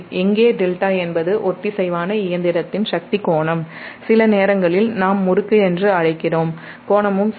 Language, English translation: Tamil, and where delta is the power angle of the synchronous machine, sometimes we call torque angle, also right